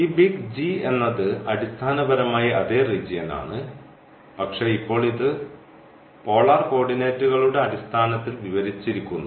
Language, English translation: Malayalam, And this G is basically the same the same region naturally, but now it is described in terms of the polar coordinates